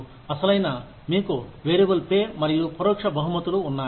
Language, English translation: Telugu, Actually, you have the variable pay, and indirect rewards